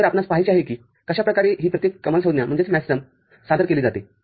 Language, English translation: Marathi, So, we have to see that how these each maxterm is represented